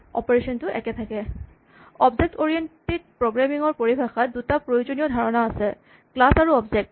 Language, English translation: Assamese, In the terminology of object oriented programming there are two important concepts; Classes and Objects